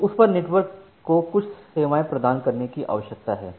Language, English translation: Hindi, So, on that the network need to provide certain services